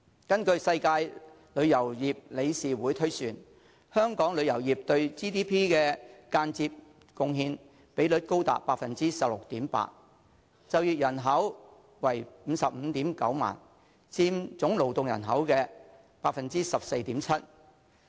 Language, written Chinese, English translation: Cantonese, 根據世界旅遊業理事會推算，香港旅遊業對 GDP 的間接貢獻比率高達 16.8%， 就業人口為 559,000， 佔總勞動人口的 14.7%。, According to the World Travel and Tourism Council Hong Kongs tourism industry indirectly accounted for as high as 16.8 % of our GDP and employed 559 000 people representing 14.7 % of the total workforce